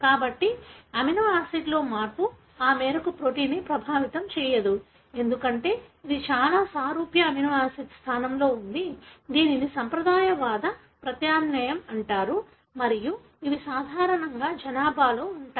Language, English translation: Telugu, So, such changes wherein the change in the amino acid does not affect the protein to that extent, because it is very similar amino acid being replaced, are called as conservative substitution and these are normally present in the population